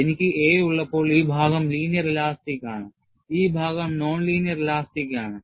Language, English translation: Malayalam, When I have a, this portion is linear elastic, and this portion is non linear elastic